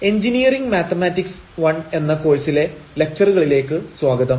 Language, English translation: Malayalam, Welcome to the lectures on Engineering Mathematics I